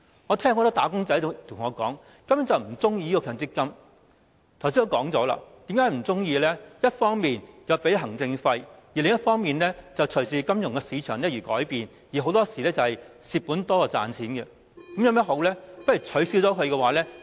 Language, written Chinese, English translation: Cantonese, 我剛才也說過為何"打工仔"不喜歡強積金制度，因為一方面要支付行政費，另一方面會隨着金融市場而改變，很多時候是虧本多於賺錢，那有甚麼好處？, It is because on the one hand they have to pay administration fees and on the other their benefits are subject to movements in the financial market and it is often the case that they suffer losses rather than making profits . So what good is it?